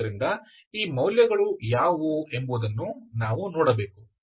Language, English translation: Kannada, So we have to see what are these values, okay